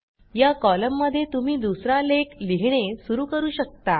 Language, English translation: Marathi, So you can start writing another article in this column